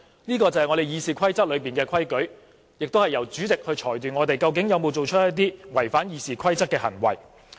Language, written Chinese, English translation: Cantonese, 這是《議事規則》的規矩，並且由主席裁斷我們有否做出一些違反《議事規則》的行為。, Such are the rules in the Rules of Procedure and it is up to the President to rule if we have committed acts in breach of the Rules of Procedure